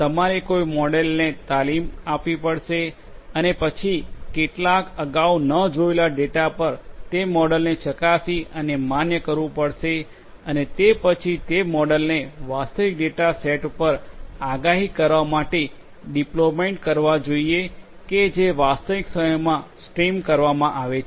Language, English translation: Gujarati, You have to train a model and then test and validate that particular model on some previously unseen data and thereafter deploy that model to make predictions on an actual data set which is being streamed in real time